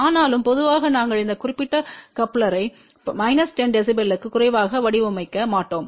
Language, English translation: Tamil, But generally we don't assign this particular coupler for less than minus 10 db